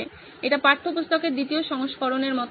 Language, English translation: Bengali, It also becomes like a second version of the textbook